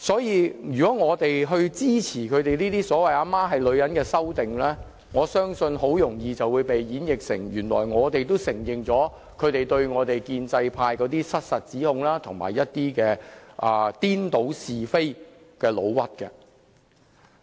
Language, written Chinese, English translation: Cantonese, 如果我們支持這些"母親是女人"的修訂，我相信很容易會被演繹為我們承認他們對建制派的失實指控，以及顛倒是非的誣衊。, If we render support I believe this will easily be interpreted as we accept the fraudulent accusations of pro - establishment Members and their slanders that confounded right and wrong